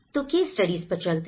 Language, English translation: Hindi, So, letís go to the case studies